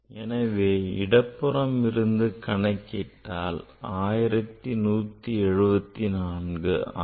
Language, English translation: Tamil, And you are calculating the volume and say result is coming 1174